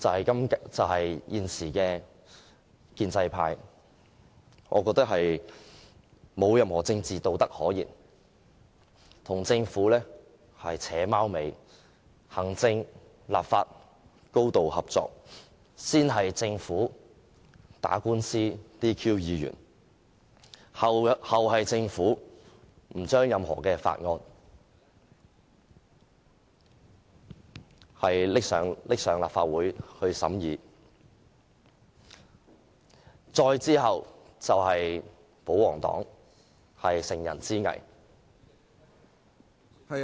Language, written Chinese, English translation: Cantonese, 我認為現在的建制派沒有任何政治道德可言，跟政府"扯貓尾"，行政、立法高度合作，先是政府打官司取消議員資格，後有政府不把任何法案提交立法會審議，再之後便是保皇黨乘人之危......, I think the present pro - establishment camp has no political integrity whatsoever by acting in cahoots with the Government . The executive and the legislature are highly collaborative in that the Government disqualified Members through the Court and refrained from tabling any bill to the Legislative Council for scrutiny before pro - Government Members exploited our precarious position